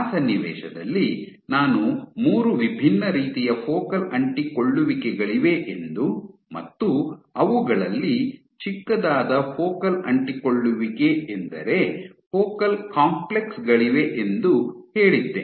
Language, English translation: Kannada, In that context we had said I had said that there are 3 different types of Focal Adhesions the smallest being Focal Complexes